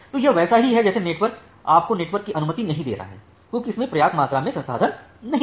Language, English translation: Hindi, So, it is just like the network is not allowing you to get admitted in the network because it does not have sufficient amount of resources